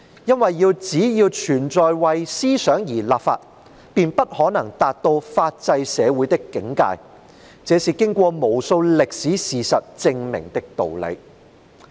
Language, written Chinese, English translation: Cantonese, 因為只要存在為思想而立法，便不可能達到法制社會的境界，這是經過無數歷史事實證明的道理。, It is because so long as laws are enacted to govern thinking it would be impossible to reach the standards of a rule - of - law society and this has been proven by countless historical facts . End of quote